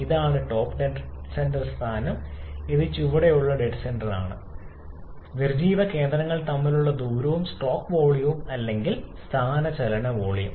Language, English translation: Malayalam, This is the top dead centre position and this is the bottom dead centre position and the distance between the dead centres is called the stroke volume or displacement volume